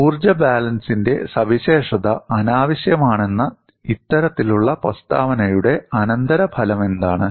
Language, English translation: Malayalam, And what is the consequence of this kind of a statement is that specification of energy balance is redundant